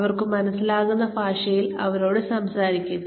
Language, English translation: Malayalam, Talk to them in a language, that they will understand